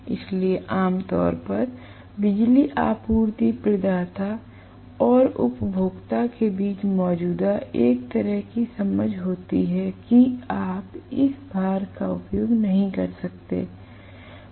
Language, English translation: Hindi, So, generally, there is kind of an understanding existing between the electricity supply provider and the consumer saying that you cannot use this loads